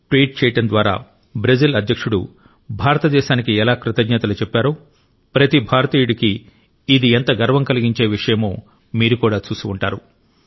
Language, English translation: Telugu, You must also have seen recently how the President of Brazil, in a tweet thanked India every Indian was gladdened at that